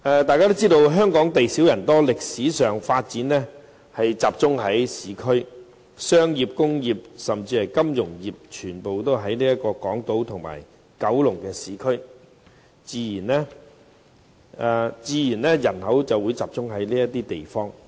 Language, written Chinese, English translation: Cantonese, 大家知道香港地小人多，在歷史上的發展也集中於市區，商業、工業和金融業活動多集中於港島或九龍等市區，人口自然也會集中在這些地方。, Everyone knows that Hong Kong is densely populated with limited land . Historically development activities mainly focus in the urban areas . Commercial industrial and financial activities are mainly concentrated in the urban areas of Hong Kong Island or Kowloon thus the population will also concentrate in these places